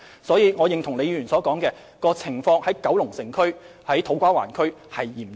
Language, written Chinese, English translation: Cantonese, 所以，我認同李議員所說，九龍城和土瓜灣的情況相當嚴峻。, For this reason I agree with Ms LEE that the situation in Kowloon City and To Kwa Wan is severe